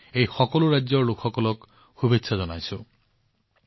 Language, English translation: Assamese, I convey my best wishes to the people of all these states